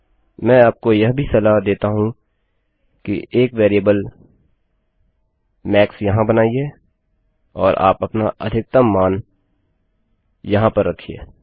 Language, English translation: Hindi, What I also recommend you to do is create a variable here called max and put your maximum value here This will do exactly the same thing